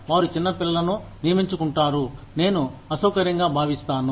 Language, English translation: Telugu, They employ small children, I will feel uncomfortable